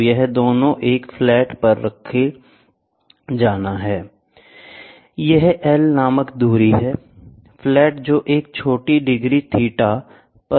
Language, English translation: Hindi, So, this both has to be kept on a flat one, this is the distance called L, and this is the small degree and the flat which is placed at a small degree theta